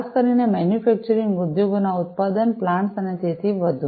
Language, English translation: Gujarati, Particularly in the manufacturing, industries manufacturing plants and so on